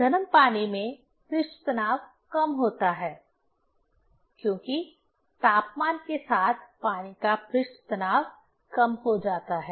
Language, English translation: Hindi, Warming water has less surface tension, because with temperature surface tension decreases of water